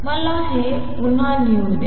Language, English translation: Marathi, Let me write this again